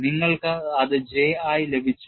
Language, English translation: Malayalam, And you got that as J